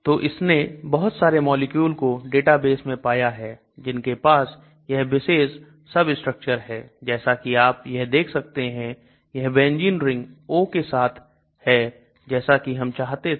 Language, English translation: Hindi, So it has found so many molecules in the database which has this particular substructure as you can see this benzene ring with a O that is what I wanted right